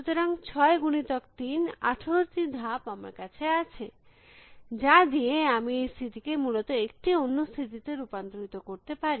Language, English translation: Bengali, So, 6 into 3, 18 moves I have, which I can transform this state into a different state essentially